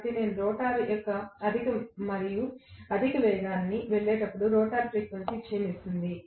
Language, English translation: Telugu, So, I am going to have the rotor frequency declining as I go to higher and higher speed of the rotor